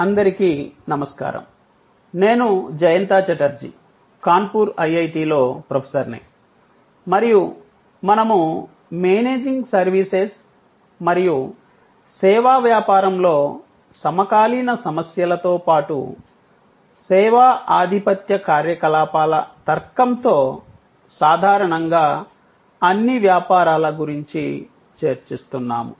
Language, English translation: Telugu, Hello, I am Jayanta Chatterjee from IIT, Kanpur and we are discussing Managing Services and the contemporary issues in service business as well as in the area of all businesses in general with the logic of service dominant operations